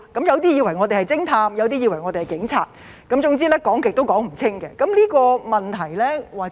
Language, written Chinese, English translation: Cantonese, 有些以為我們是偵探，有些以為我們是警察，總之是怎樣說也說不清。, Some think that we are detectives and some think that we are police officers . In any case it is hard to explain it clearly